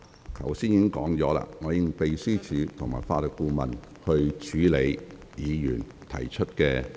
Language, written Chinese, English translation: Cantonese, 我剛才已說過，我會指示秘書處和法律顧問處理議員提出的問題。, As I have said earlier I will direct the Secretariat and the Legal Adviser to handle the issues raised by Members